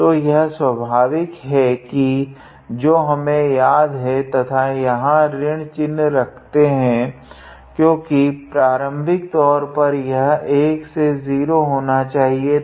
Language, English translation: Hindi, So, this is an obvious thing that we have to remember and keeping a minus sign here because initially it was supposed to be 1 to 0